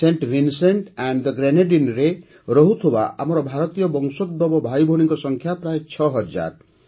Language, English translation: Odia, The number of our brothers and sisters of Indian origin living in Saint Vincent and the Grenadines is also around six thousand